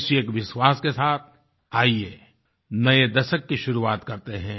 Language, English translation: Hindi, With this belief, come, let's start a new decade